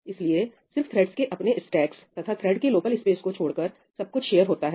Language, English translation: Hindi, So, everything is shared by the threads, except for their own stacks and the thread local space